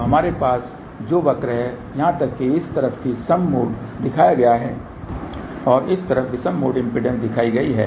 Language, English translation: Hindi, So, what we have the curve here even mode is shown on this side , and odd mode impedance is shown on this side